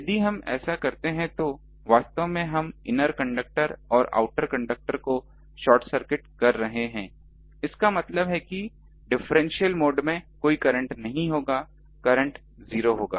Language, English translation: Hindi, If we do that actually we are short circuiting the inner conductor and outer conductor; that means, there won't be any current in the differential mode current will be zero0